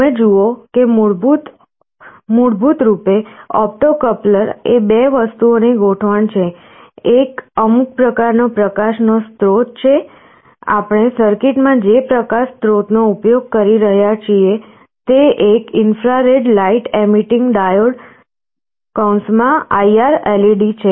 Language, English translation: Gujarati, You see basically an opto coupler is the arrangement of two things: one is some kind of a light source, well in the circuit that we are using this light source is an infrared light emitting diode